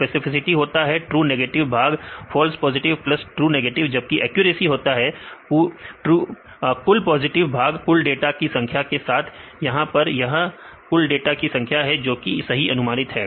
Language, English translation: Hindi, Specificity is true negative by false positive plus true negative, the accuracy is total positives with the all number of data this is all number of data this is the correctly predicted data